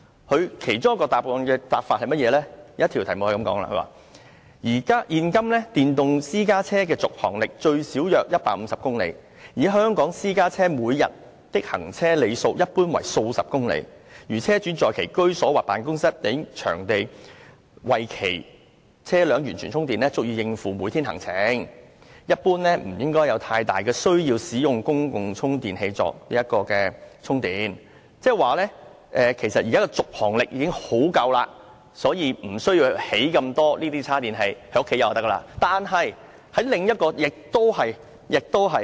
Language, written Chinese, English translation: Cantonese, 其中一項質詢的答覆是這樣的，"現今電動私家車的續航力最少約150公里，以私家車每天的行車里數一般為數十公里，如車主在其居所或辦公地方等場地為其車輛完全充電，應足以應付每天行程，一般不應有太大需要使用公共充電器作補充充電"，那即是說，現時的續航力已經十分充足，所以無須興建那麼多設有充電器的停車位，只要居所有充電設施便可以。, As such an electric private car should be able to sustain a whole days journey after a full charging at its owners home or workplace . The need for electric private cars to top up their batteries by public chargers should be minimal . This means that the existing driving range is already enough and as long as there are sufficient charging facilities in peoples home car parks there is no need to provide so many parking spaces with charging facilities